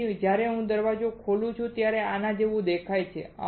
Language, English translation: Gujarati, So, when I open the door it looks like this